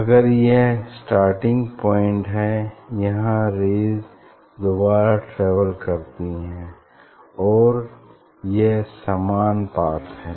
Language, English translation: Hindi, if this is the starting point; these rays are travelling twice, these rays are travelling twice, and this is the same path